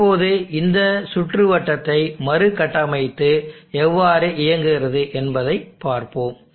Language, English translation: Tamil, Now how does this circuit operate, let us reconstruct this circuit and you will understand how this circuit has come about